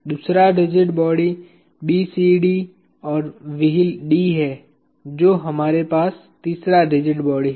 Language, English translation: Hindi, The other rigid body is BCD and the wheel D, the 3 rigid bodies that we have